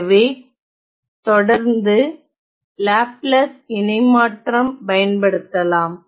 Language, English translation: Tamil, So, I can always find the Laplace inverse